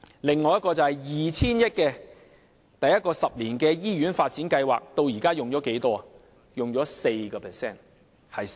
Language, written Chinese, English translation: Cantonese, 此外，有一項 2,000 億元的第一個十年醫院發展計劃，至今僅用了 4% 的款項。, Furthermore 200 billion has been earmarked for the first ten - year hospital development plan and only 4 % of the fund has been used so far